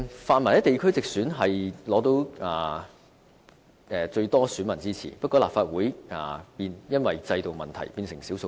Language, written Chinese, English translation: Cantonese, 泛民在地區直選得到最多選民的支持，不過因為制度問題，在立法會變成少數派。, Despite securing the support of the largest number of voters the pan - democrats are a minority in the Legislative Council under the existing mechanism